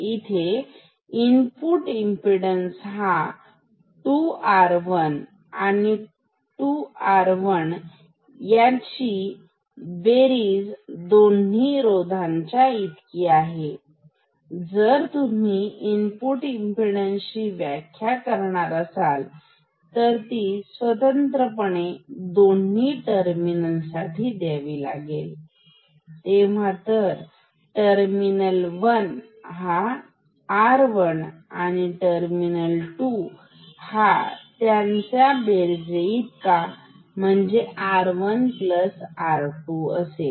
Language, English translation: Marathi, So, in this case the input impedance was here 2 R 1; 2 R 1 sum of these two resistances and if you define input impedance for individual terminals, then for terminal 1, this is equal to R 1; and for terminal 2, this is equal to R 1 plus R 2